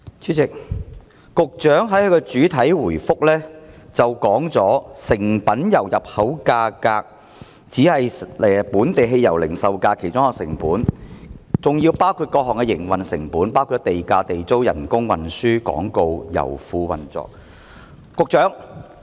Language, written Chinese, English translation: Cantonese, 主席，局長在主體答覆中指出，成品油入口價只是本地汽油零售價的其中一項成本，零售價亦包含各項營運成本，如地價、地租、工資、運輸、廣告、油庫運作等。, President the Secretary pointed out in the main reply that the import price of refined oil is only one of the costs making up the local retail price of auto - fuels and that the retail price also includes other operating costs such as land costs government rent staff costs transportation advertising operation of oil terminal etc . I do not know if the Secretary has studied the trend movements carefully